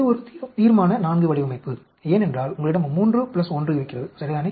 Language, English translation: Tamil, This is a IV, Resolution of design of IV because these you have 3 plus 1, right, the minimum